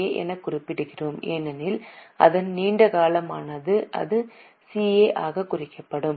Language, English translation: Tamil, So, let us mark this as NCA because it's long term whereas this will be marked as CA